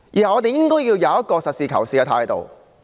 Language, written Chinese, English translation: Cantonese, 我們應該抱持實事求是的態度。, We should hold a pragmatic attitude